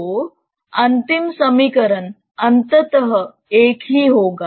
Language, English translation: Hindi, So, the final equation would eventually be the same